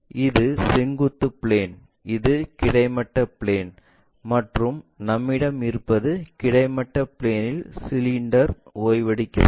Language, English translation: Tamil, This is the vertical plane, this is the horizontal plane, and what we have is cylinder resting on horizontal plane